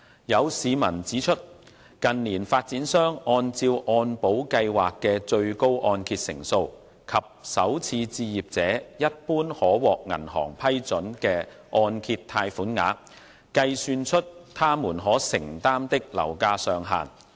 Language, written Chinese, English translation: Cantonese, 有市民指出，近年發展商按照按保計劃的最高按揭成數及首次置業者一般可獲銀行批准的按揭貸款額，計算出他們可承擔的樓價上限。, Some members of the public have pointed out that in recent years developers have calculated the maximum property price affordable to first - time home buyers on the basis of the maximum MIP coverage and the mortgage loan amounts generally approved by banks for first - time home buyers